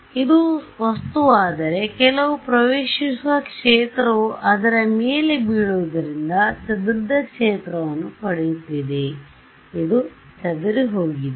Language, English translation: Kannada, So, let us say this is my object right some incident field is falling on it, and something is getting scattered field this is scattered this is total